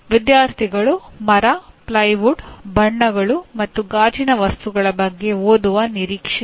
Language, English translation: Kannada, Students are expected to read about timber, plywood, paints and glass materials